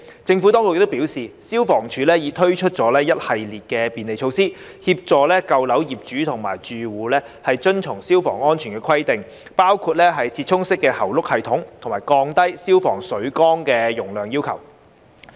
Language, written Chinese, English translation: Cantonese, 政府當局表示，消防處已推出一系列便利措施，協助舊樓業主及住戶遵從消防安全規定，包括"折衷式喉轆系統"和降低消防水缸容量要求。, According to the Administration FSD had introduced a series of facilitation measures to assist owners and occupants of old buildings to comply with fire safety requirements including the improvised hose reel system and lowering of the capacity requirements for fire service water tanks